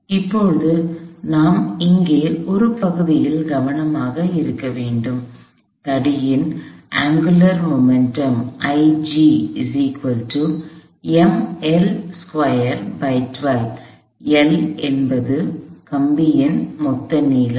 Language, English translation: Tamil, Now, I may be careful with the l part here, the angular momentum of the rod is m capital L square over 12, L is the total length of the rod